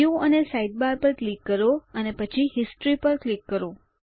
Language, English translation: Gujarati, Click on View and Sidebar and then click on History